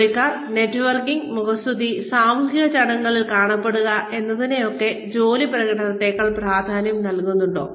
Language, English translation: Malayalam, Does the employee, emphasize networking, flattery, and being seen at social functions, over job performance